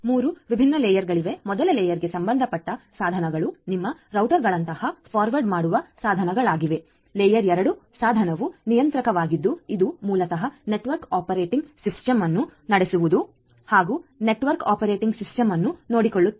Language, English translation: Kannada, So, we have 3 different layers, layer 1 devices are like forwarding devices like your routers etcetera these different forwarding devices, layer 2 device is the controller which basically also takes care of the network operating system which runs the network operating system